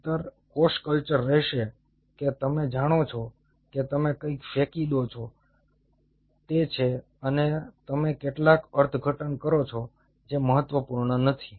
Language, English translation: Gujarati, otherwise cell culture will remain that you know you throw something, something grows, thats it, and you make some interpretation